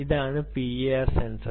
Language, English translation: Malayalam, that's the p i r sensor